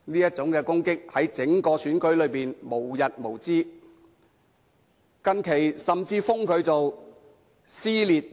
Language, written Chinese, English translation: Cantonese, 在整個選舉中，這種攻擊無日無之，近日甚至稱她為"撕裂 2.0"，......, These attacks are made throughout the election and she has even been called dissension 2.0 these days